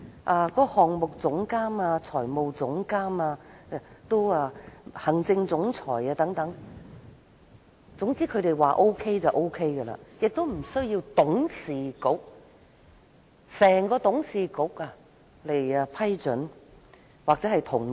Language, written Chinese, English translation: Cantonese, 至於項目總監、財務總監和行政總裁等人選，也是他們說了算，無須經董事局批准或同意。, They could also make decisions on the appointments of Project Director Finance Director Executive Director and so on without having to seek approval or consent from the Board